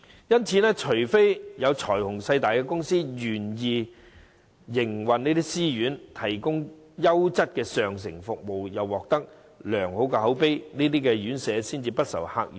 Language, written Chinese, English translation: Cantonese, 因此，除非有財雄勢大的公司願意營運私營院舍，提供優質上乘的服務，贏取良好口碑，這些院舍才會不愁客源。, Hence only if certain companies with strong financial strength are willing to operate self - financing RCHEs providing quality services to win a good reputation will they have a guaranteed customer flow